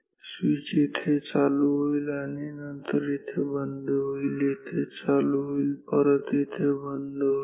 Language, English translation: Marathi, The switch is closed here and then opened, here closed and then open